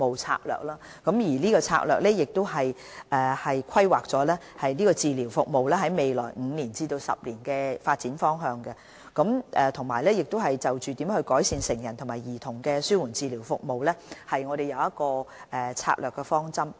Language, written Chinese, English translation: Cantonese, 當局剛制訂《策略》，規劃紓緩治療服務在未來5至10年的發展方向，並就如何改善成人和兒童的紓緩治療服務釐定了策略方針。, The Framework was developed to guide the direction of development of palliative care service for the coming 5 to 10 years . Strategies and directions for improving adult and paediatric palliative care were also formulated